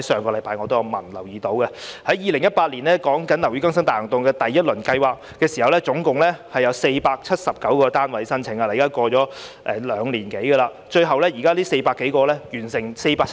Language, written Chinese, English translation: Cantonese, 2018年的第一輪"樓宇更新大行動"，接獲的合資格申請共涵蓋479幢樓宇；至今已兩年多，但479幢樓宇只完成了4幢。, In the first round of Operation Building Bright in 2018 the eligible applications received involved a total of 479 buildings; it has been more than two years since then but only four of the 479 buildings have the repair works completed